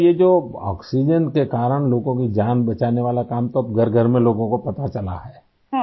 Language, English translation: Urdu, So beti, this work of saving lives through oxygen is now known to people in every house hold